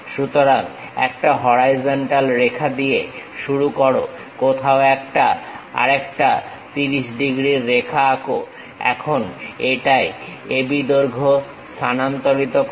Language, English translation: Bengali, So, begin with a horizontal line, somewhere draw a 30 degrees line another 30 degrees line, now A B length transfer it